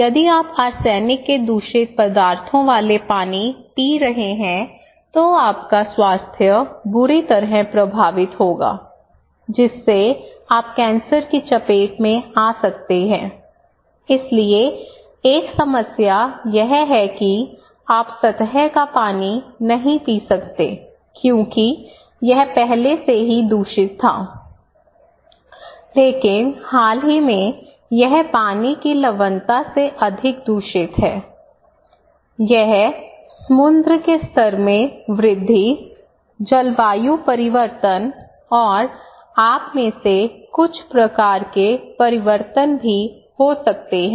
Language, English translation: Hindi, So, if you are drinking arsenic contaminations; contaminated water, then you will be, your health will be severely affected leaving you, making you vulnerable for cancer even, so the one problem that you cannot drink surface water because it was contaminated already, but recently, it is more contaminated by water salinity, it could be sea level rise, climate change and also some kind of changes of you know, shrimp cultivations